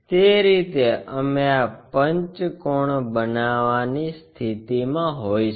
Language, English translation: Gujarati, In that way we will be in a position to construct this pentagon